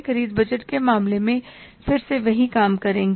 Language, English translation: Hindi, In case of the purchase budget, again, same thing we will do